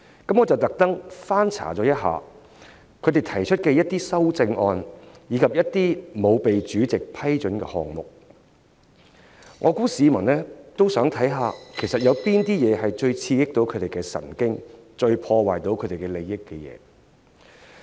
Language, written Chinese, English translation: Cantonese, 我特意翻查他們提出的修正案，以及一些不獲主席批准提出的項目，我相信市民也想看看哪些項目最刺激他們的神經和最損害他們的利益。, I have made it a point to go through their amendments and those ruled inadmissible by the President as I believe the public are also interested in knowing which items get on these Members nerves and hurt their interests the most